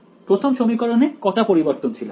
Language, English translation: Bengali, The 1st equation how many variables are in it